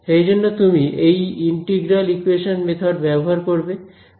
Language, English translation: Bengali, So, that is why you will take use these integral equation methods ok